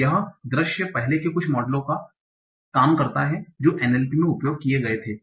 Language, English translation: Hindi, So this was some of the earlier models that were used in NLP